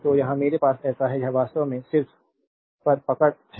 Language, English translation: Hindi, So, here I have so, this is actually just hold on I